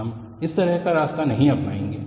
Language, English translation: Hindi, We will not take that kind of a route